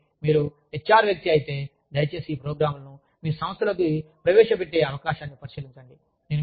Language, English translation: Telugu, So, if you are an HR person, please look into the possibility, of introducing these programs, into your organization